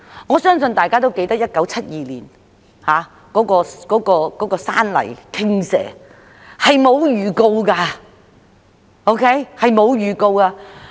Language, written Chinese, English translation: Cantonese, 我相信大家也記得1972年的山泥傾瀉，這類情況是無法預告的。, I believe Members remember the landslides in 1972 and it is impossible to forecast such incidents